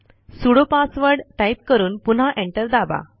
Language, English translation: Marathi, press Enter Enter the sudo password and press Enter again